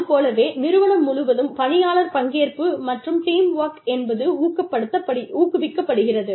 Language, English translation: Tamil, Then, the employee participation and teamwork are encouraged, throughout the organization